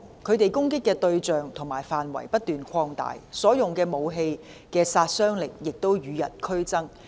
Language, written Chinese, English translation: Cantonese, 他們攻擊的對象及範圍不斷擴大，所用武器的殺傷力亦與日俱增。, The targets and scope of their attacks are continually expanding and the weapons they use are increasingly lethal